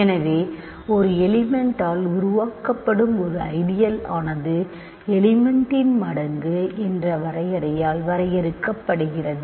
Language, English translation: Tamil, So, an ideal generated by a single element is by definition that element times any element